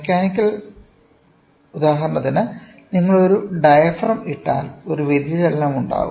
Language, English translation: Malayalam, Mechanical for example, if you put a diaphragm there can be a deflection